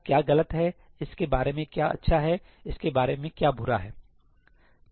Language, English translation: Hindi, What is good about it, what is bad about it